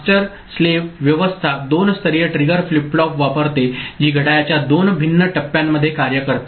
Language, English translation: Marathi, Master slave arrangement uses two level triggered flip flop which work in two different phases of the clock